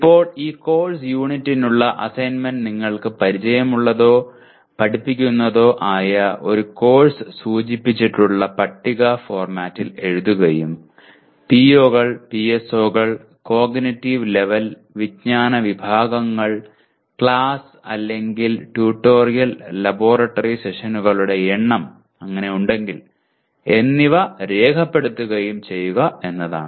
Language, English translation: Malayalam, Now the assignment for this course, this unit is write course outcomes in the table format indicated of a course you are familiar with or taught and tag them with POs, PSOs, cognitive level, knowledge categories and the number of class or tutorial/laboratory sessions if there are any